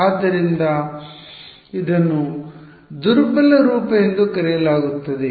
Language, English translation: Kannada, So, it is called the weak form that is all